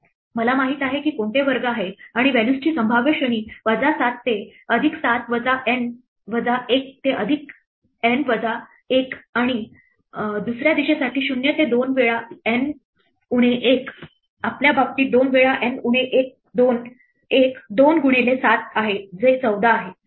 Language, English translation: Marathi, I know which squares are there and the possible range of values is from minus 7 to plus 7 minus N minus 1 to plus N minus 1 and for the other direction it is from 0 to 2 times N minus 1 in our case two times N minus 1 is two times 7 which is 14